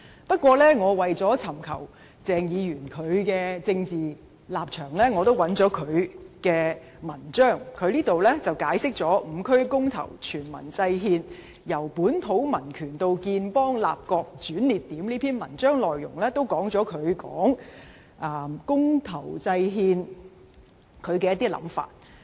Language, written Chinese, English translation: Cantonese, 不過，為尋求鄭議員的政治立場，我也找到他一篇題為"'五區公投、全民制憲'：由本土民權到建邦立國的轉捩點"的文章，文章內容也表達了他對公投制憲的一些想法。, However to identify Dr CHENGs political stance I found an article penned by him entitled Five - constituency Referendum and A constitution Drawn up by all People The Turning Point from Civic Nationalism to State Formation in which he expressed some of his thoughts on devising the constitution by referendum